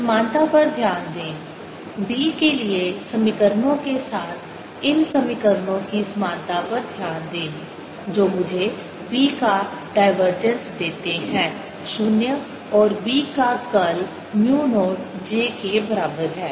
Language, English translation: Hindi, notice the similarity, notice the similarity of these equations, the equations for b which give me the divergence of b zero and curl of b is equal to mu, not j